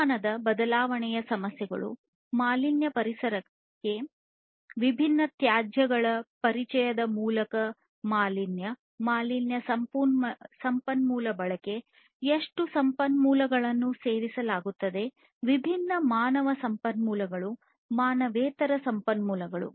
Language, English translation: Kannada, Issues of climate change, contamination – contamination of through the introduction of different wastes to the environment, contamination resource consumption, how much resources are consumed, resources of all kinds different you know human resources, non human resources